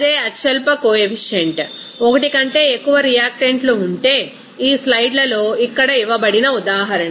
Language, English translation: Telugu, And if there is more than one reactant with the same lowest coefficient, example like this given here in this slides